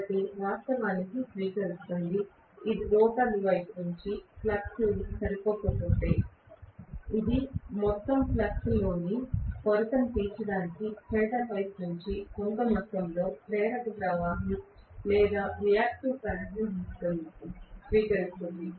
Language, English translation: Telugu, So, it will draw actually, if the flux is not sufficient from the rotor side, it will draw some amount of inductive current or reactive current from the stator side to make up for the shortfall in the overall flux